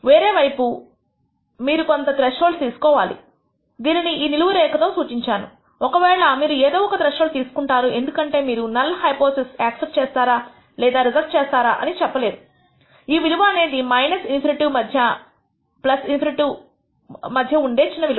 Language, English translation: Telugu, On the other hand you are going to choose some threshold in I have indicated this by this vertical line you are going to choose some threshold because you cannot say that you will accept you will not reject the null hypothesis whether the value is minor any value between minus infinity and plus infinity